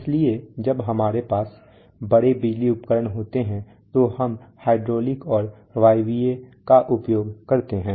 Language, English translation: Hindi, So when we have large power devices we use hydraulic and pneumatic